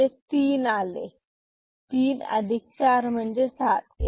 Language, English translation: Marathi, So, 7 minus 4 is positive 3 ok